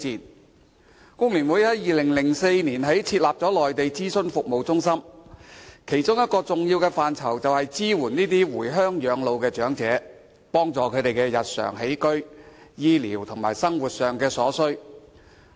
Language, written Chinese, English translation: Cantonese, 香港工會聯合會在2004年設立的工聯會內地諮詢服務中心，其工作的一個重要範疇，便是支援這些回鄉養老的長者，協助他們的日常起居、醫療及生活所需。, The Hong Kong Federation of Trade Unions FTU set up FTU Mainland consulting centres in 2004 . One major area of their work is to offer support to those elderly persons who live their twilight years back in their hometowns providing them with assistance in respect of daily living medical care and daily necessities